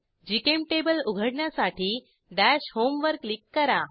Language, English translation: Marathi, To open GChemTable, click on Dash Home